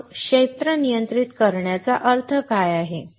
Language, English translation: Marathi, So, what does that mean by controlling the area